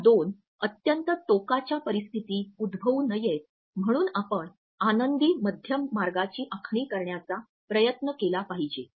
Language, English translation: Marathi, In order to avoid these two situations of extreme, we should try to plan and prepare for a happy medium